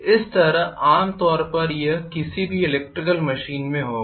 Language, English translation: Hindi, This is how it will be in generally in any electrical machine